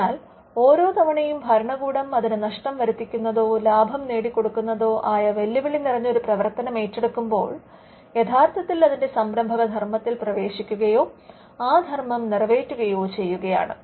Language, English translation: Malayalam, So, every time the state undertakes a risky activity, wherein it could suffer losses and it could also make gains the state is actually getting into or discharging its entrepreneurial function